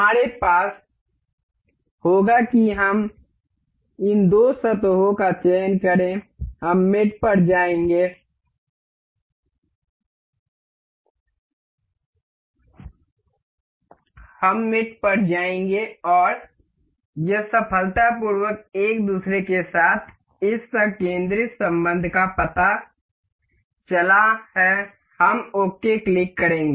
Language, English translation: Hindi, We will have we have to select these two surfaces we will go on mate, and it is successfully detected this concentric relation with each other we will click ok